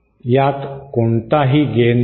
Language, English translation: Marathi, It does not have any gain